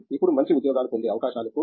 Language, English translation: Telugu, Then chances of getting good jobs are high